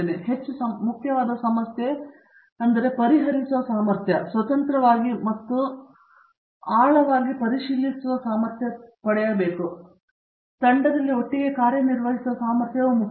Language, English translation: Kannada, But, more important is the problem solving capability, the ability to look at something if they are independently and in depth, the ability to get a team together and work